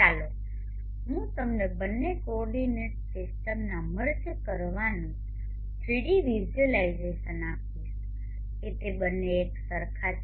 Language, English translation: Gujarati, Let me give you a 3D visualization of merging the two coordinates systems such that they both have the same origins